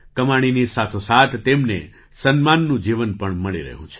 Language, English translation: Gujarati, Along with income, they are also getting a life of dignity